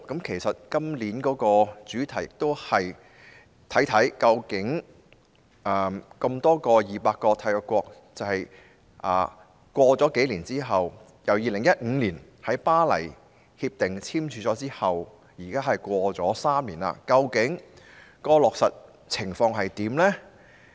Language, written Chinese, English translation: Cantonese, 其實今年的主題，便是看一看 ，200 多個締約國自2015年簽署《巴黎協定》之後 ，3 年來究竟落實情況如何？, In fact this years theme is to examine the implementation of the Paris Agreement by more than 200 state parties over the past three years since it was signed in 2015